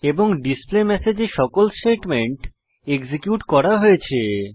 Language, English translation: Bengali, And all the statements in the displayMessage are executed